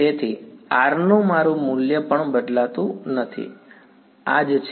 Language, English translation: Gujarati, So, even my value of R does not change is this the same right